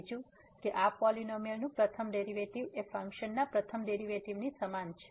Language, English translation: Gujarati, Second: that the first derivative of this polynomial is equal to the first derivative of the function